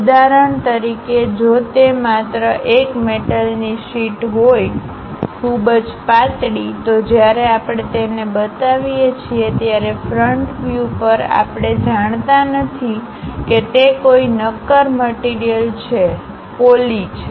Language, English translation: Gujarati, For example, if it is just a sheet metal, a very small thickness when we are representing it; at the front view, we do not know whether it is a solid object or it is a hollow one